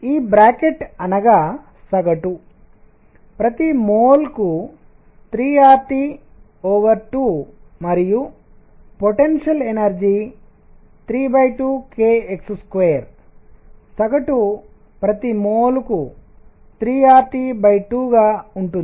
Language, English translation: Telugu, This bracket I mean average is 3 R T by 2 per mole and potential energy is 3 by 2 k x square; average is going to be 3 R T by 2 per mole